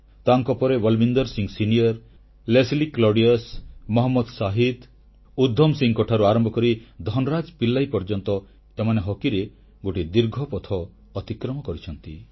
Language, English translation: Odia, Then, from Balbeer Singh Senior, Leslie Claudius, Mohammad Shahid, Udham Singh to Dhan Raj Pillai, Indian Hockey has had a very long journey